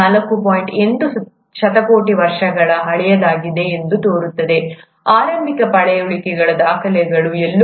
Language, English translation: Kannada, 8 billion years old, the earliest fossil records are somewhere about 3